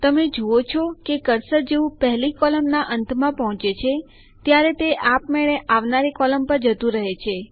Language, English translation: Gujarati, You see that the cursor automatically goes to the next column after it reaches the end of the first column